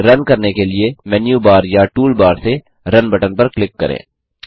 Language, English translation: Hindi, Click on the Run button from Menu bar or Tool bar to run the code